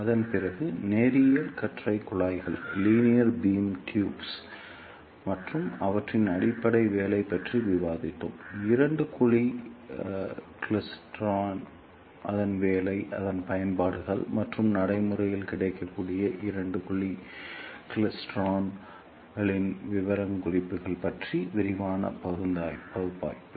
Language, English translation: Tamil, After that we discussed about linear beam tubes and their basic working; followed by detailed analysis of two cavity klystron, its working its applications and the specifications of practically available two cavity klystrons